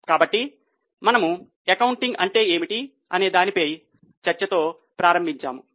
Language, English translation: Telugu, So, we started with discussion on what is meant by accounting